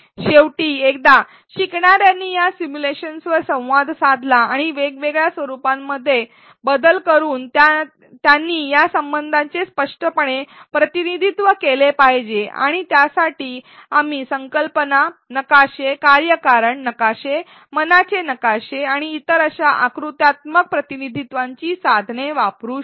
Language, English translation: Marathi, Finally, once learners interact with these simulations and manipulate the different variables we should make them explicitly represent these relationships and for that we can use concept maps, causal maps, mind maps and other such diagrammatic representation tools